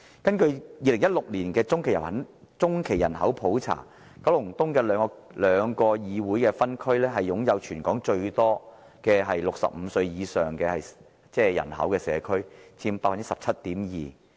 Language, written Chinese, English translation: Cantonese, 根據2016年的中期人口普查，九龍東的兩個議會分區是全港擁有最多65歲以上人口的社區，佔 17.2%。, According to the population by - census conducted in 2016 the two District Council Districts in Kowloon East had the largest numbers of persons aged over 65 in Hong Kong accounting for 17.2 %